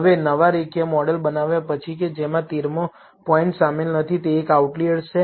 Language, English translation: Gujarati, Now, after building the new linear model, which does not contain the 13th point, that is an outlier